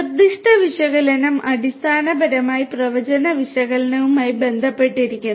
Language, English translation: Malayalam, Prescriptive analytics basically is related to the predictive analytics